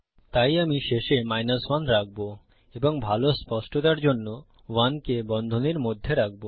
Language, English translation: Bengali, So I will put 1 at the end and put 1 in brackets for better legibility